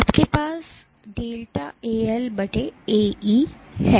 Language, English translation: Hindi, you have delta is AL/AE